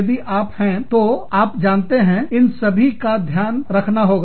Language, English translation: Hindi, If you are, so you know, so all of that, has to be taken into account